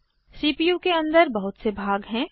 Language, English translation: Hindi, There are many components inside the CPU